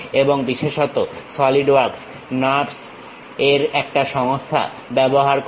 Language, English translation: Bengali, And especially Solidworks uses a system of NURBS